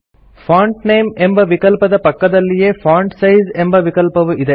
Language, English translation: Kannada, Beside the Font Name field , we have the Font Size field